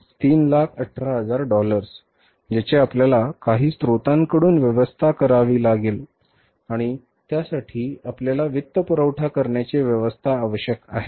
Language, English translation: Marathi, That is $318,000 which we have to arrange from some source and for that we need the financing arrangements